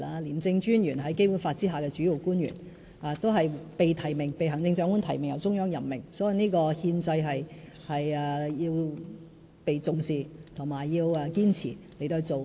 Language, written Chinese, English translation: Cantonese, 廉政專員是《基本法》下的主要官員，是被行政長官提名及由中央任命的，這個憲制需要被重視及堅持。, Under the Basic Law the Commissioner of ICAC is a principal official nominated by the Chief Executive and appointed by the Central Authorities . This constitutional requirement must be respected and adhered to